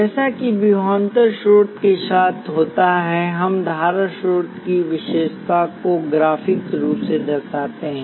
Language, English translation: Hindi, As with the voltage source we depict the characteristic of a current source graphically